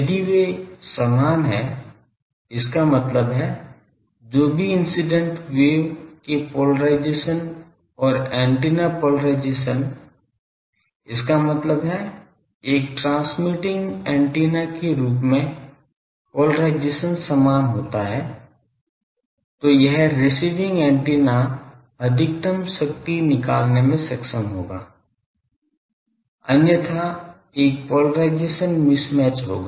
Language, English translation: Hindi, If they are equal; that means, whatever the polarisation of the incident wave and the antennas polarisation; that means, as a that; as a transmitting antenna is polarisation is same, then this receiving antenna will be able to extract maximum power otherwise there will be a polarisation mismatch